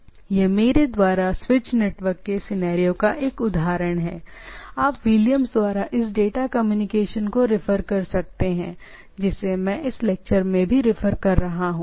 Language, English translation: Hindi, Now, typically this is a example of scenario from the switch network I am you can refer this data communication by Williams which I am also referring in this case